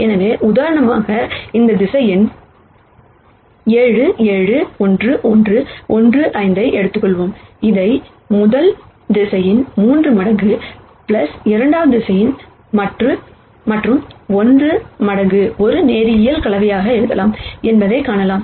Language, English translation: Tamil, So, let us say for example, we have taken this vector 7 7 11 15, we can see that that can be written as a linear combination of 3 times the rst vector plus 1 times the second vector and so on